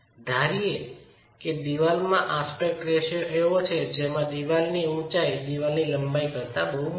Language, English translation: Gujarati, Let us assume the wall is of an aspect ratio such that the height of the wall is much larger than the length of the wall